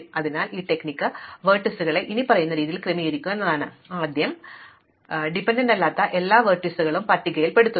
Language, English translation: Malayalam, So, the strategy is to order the vertices as follows, you first list all the vertices which have no dependencies